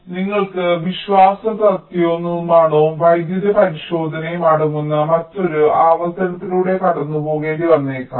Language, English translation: Malayalam, so you may have to go through another iteration which consist of reliability, manufacturability and electrical verification